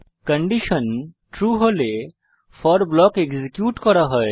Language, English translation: Bengali, If the condition is true then the for block will be executed